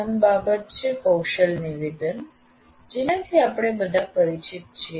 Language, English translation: Gujarati, First thing is competency statement that we are all familiar with